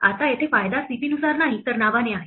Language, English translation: Marathi, Now here the advantage is not by position but by name